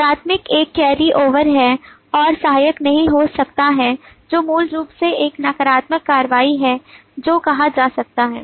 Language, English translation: Hindi, the primary is a carry over and the auxiliary is cannot be which basically is a negative action that is being said